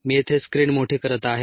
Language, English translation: Marathi, let me maximizes a screen here